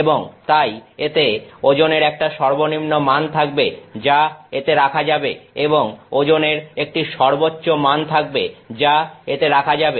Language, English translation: Bengali, And, then minimums it will have a minimum value for the load it can put and a maximum value of load it can put